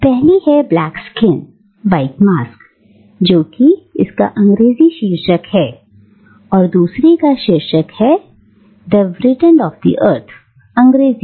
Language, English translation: Hindi, The first one is Black Skin, White Masks, that is its English title and the second is titled The Wretched of the Earth, in English